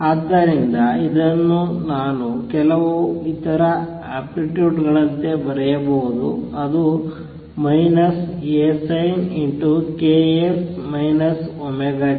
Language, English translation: Kannada, So, this I can also write as some other amplitude which is minus A sin of k x minus omega t